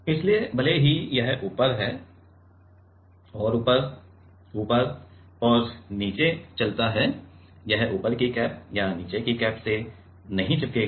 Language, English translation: Hindi, So, even though it moves top and up top and bottom, it will not get stuck to the top cap or to the bottom cap